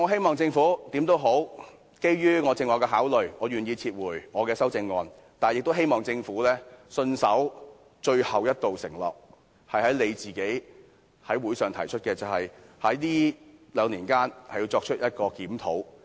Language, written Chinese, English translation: Cantonese, 無論如何，基於我剛才所述的考慮，我願意撤回我的修正案，但我亦希望政府信守最後一道承諾：政府自己曾在法案委員會上提出，將在兩年內進行檢討。, In any case I am willing to withdraw my CSAs based on the considerations I have just mentioned . However I also hope that the Government will honour its only remaining pledge The Government has proposed at the Bills Committee to conduct a review in two years